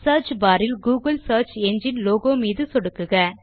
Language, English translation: Tamil, Click on the googles search engine logo within the Search bar